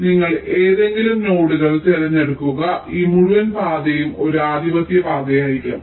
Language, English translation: Malayalam, so you pick any of the nodes, this entire path will be a dominating path